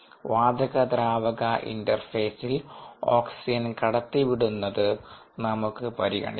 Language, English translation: Malayalam, let us consider the transport of oxygen across the gas liquid interface when it is at steady state